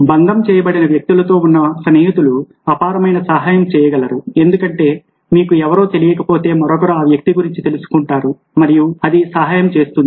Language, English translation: Telugu, friends with connected people can be immensely, because if you don't know somebody, then somebody else will be aware of that person and it will help